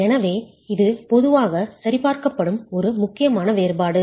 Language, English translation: Tamil, So this is one important difference that is normally checked